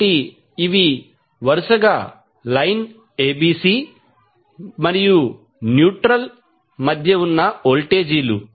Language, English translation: Telugu, So, these are respectively the voltages between line ABC and the neutral